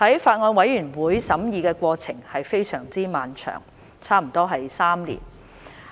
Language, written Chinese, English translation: Cantonese, 法案委員會審議的過程非常漫長，差不多3年。, The Bills Committee has gone through a prolonged deliberation process that lasted almost three years